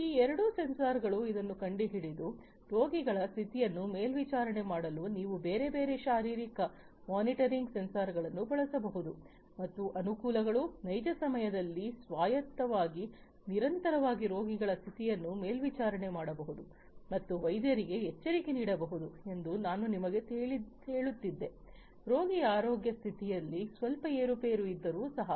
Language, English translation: Kannada, So, these two sensors have this picked up like this you can use different other physiological monitoring sensors to monitor the condition of the patients and the advantages is, as I was telling you that autonomously in real time continuously the condition of the patients can be monitored and alerts can be generated for the doctors if there is some criticality in the health condition of the patient